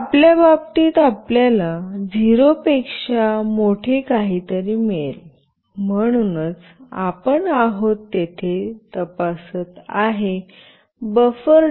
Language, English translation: Marathi, So, in our case we will receive something greater than 0, so that is why what we are checking here buffer